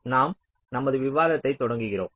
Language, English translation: Tamil, so we continue with our discussion today